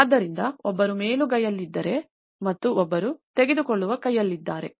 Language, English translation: Kannada, So, one is on upper hand and one is on the taking hand